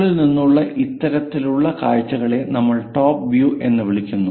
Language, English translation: Malayalam, This kind of views what we are calling, from top we are trying to look at this is what we call top view